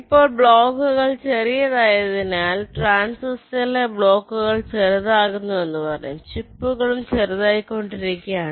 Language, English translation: Malayalam, now, as the blocks becomes smaller and smaller, blocks in the transistor, you can say the transistor is becoming smaller, the chips are also becoming smaller